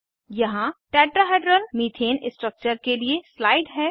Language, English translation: Hindi, Here is a slide for the Tetrahedral Methane structure